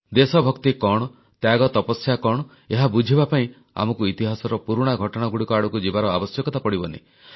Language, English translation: Odia, To understand the virtues of patriotism, sacrifice and perseverance, one doesn't need to revert to historical events